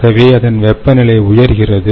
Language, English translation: Tamil, the temperature does not